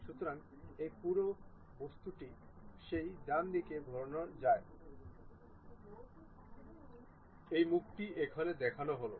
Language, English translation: Bengali, So, this entire object rotated in that rightward direction that is the face what it is shown